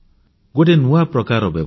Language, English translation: Odia, This is a great new system